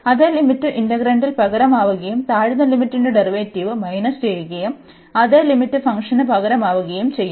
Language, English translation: Malayalam, And that same limit will be substituted in the integrand, and minus the lower the derivative of the lower limit and the same limit will be substituted into the function